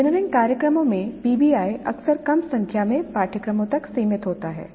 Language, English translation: Hindi, PBI in engineering programs is often limited to a small number of courses